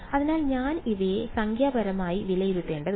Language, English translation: Malayalam, So, I need to evaluate these numerically